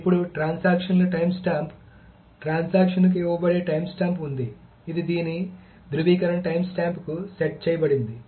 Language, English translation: Telugu, Now, timestamp of the transaction, so there is a timestamp that is given to the transaction which is set to the validation timestamp of this